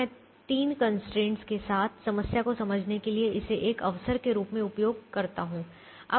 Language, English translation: Hindi, so let me also use this as an opportunity to explain a problem that has three constraints